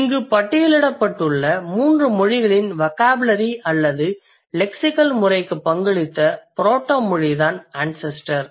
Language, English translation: Tamil, So, the ancestry is the proto language that has contributed to the vocabulary or the lexical system of all the three languages that we have listed here